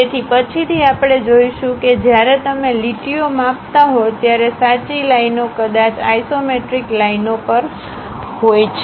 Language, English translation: Gujarati, So, later we will see that, the true lines are perhaps on the isometric lines, when you are measuring the angles, when you are measuring the lines